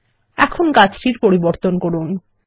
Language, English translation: Bengali, Now, lets edit the tree